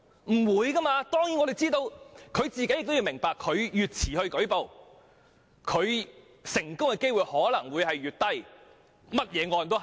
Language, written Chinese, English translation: Cantonese, 我們明白這一點，而受害人亦明白越遲舉報，成功控訴的機會可能會越低。, We understand this point and those victims also understand that the later a report is made the less likely for a case to be won